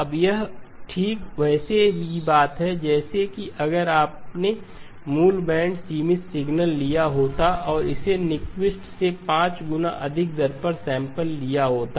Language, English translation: Hindi, Now this is exactly the same thing that would have happened if you had taken the original band limited signal and sampled it at 5 times higher than Nyquist